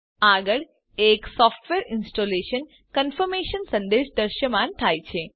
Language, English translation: Gujarati, Next a Software Installation confirmation message appears